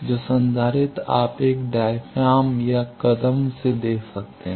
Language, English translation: Hindi, So, capacitance you can give either by a diaphragm or by step